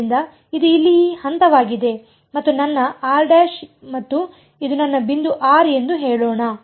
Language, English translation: Kannada, So, this is this point over here this is my r prime and let us say this is my point r